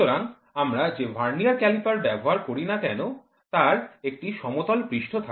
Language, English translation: Bengali, So, the vernier calipers whatever we use we it has a flat surface